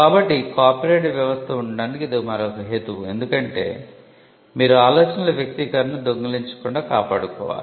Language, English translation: Telugu, So, that is another rationale for having a regime because you had to protect the expression of ideas from being stolen